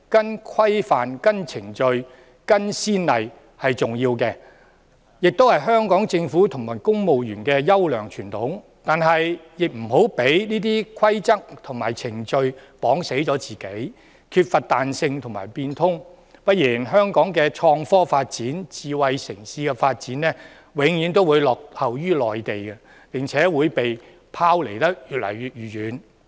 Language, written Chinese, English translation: Cantonese, 依循規範、程序、先例是重要的，亦是香港政府和公務員的優良傳統，但是亦不要受制於這些規則和程序，令自己缺乏彈性和不會變通；不然香港的創科發展、智慧城市的發展，永遠會落後於內地，並且會被拋離得越來越遠。, Adherence to norms standard procedures and precedents is important and also a golden tradition of the Hong Kong Government and its civil service . To retain ones flexibility and adaptability however one should not be restricted by these rules and procedures or else Hong Kong will always lag behind the Mainland by an increasing margin in terms of innovation technology and smart city development